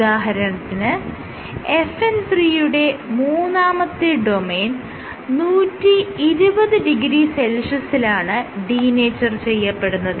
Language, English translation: Malayalam, So, your third domain of FN 3 roughly denatures at 120 degree Celsius